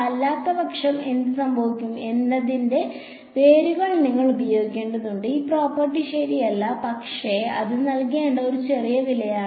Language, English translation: Malayalam, You have to use the roots of p N otherwise what happens this property does not hold true ok, but that is a small price to pay